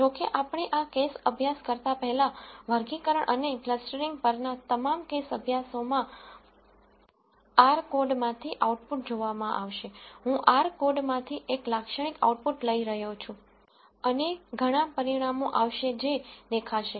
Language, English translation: Gujarati, However, before we do this case study since all the case studies on classification and clustering will involve looking at the output from the r code, I am going to take a typical output from the r code and there are several results that will show up